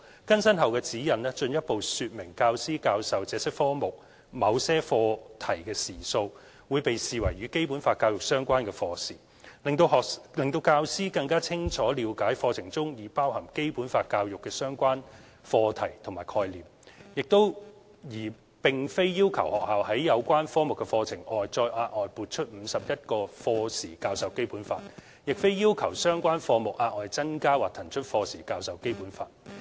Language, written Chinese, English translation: Cantonese, 更新後的《指引》進一步說明教師教授這些科目某些課題的時數，會被視為與《基本法》教育相關的課時，讓教師更清楚了解課程中已包含《基本法》教育的相關課題/概念，而並非要求學校在有關科目的課程外再額外撥出51課時教授《基本法》，亦非要求相關科目額外增加或騰出課時教授《基本法》。, The updated SECG further elaborates that lesson hours spent on teaching certain topicsthemes in these subjects will be regarded as Basic Law education related lesson hours . This spells out clearly for teachers that topicsconcepts related to Basic Law education have already been covered by the curricula of various subjects and that schools are not required to provide an additional 51 hours for teaching the Basic Law on top of the current coverage of the relevant subjects nor are they required to put inaside extra hours for teaching the Basic Law in the relevant subjects